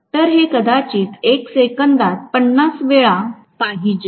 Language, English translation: Marathi, So, it should happen 50 times probably in 1 second, right